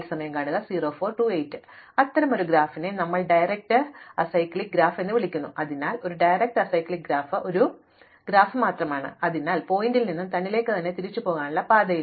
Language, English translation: Malayalam, So, we call such a graph a directed acyclic graph, so a directed acyclic graph is just a directed graph, in which there is no directed path from any vertex back to itself